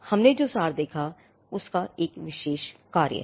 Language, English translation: Hindi, Now, the abstract we had seen has a particular function